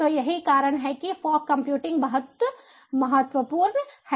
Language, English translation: Hindi, so this is the reason why fog computing is very important